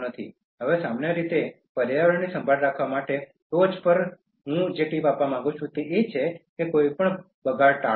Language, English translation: Gujarati, Now in general on the top for caring for the environment, the tip I would like to give is that, avoid any wastage